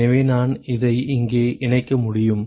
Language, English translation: Tamil, So, I can plug this in here